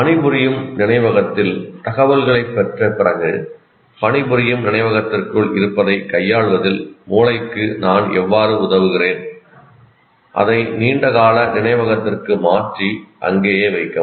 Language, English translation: Tamil, Now having got the information into the working memory, how do I facilitate the brain in dealing with what is inside the working memory and transfer it to long term memory and keep it there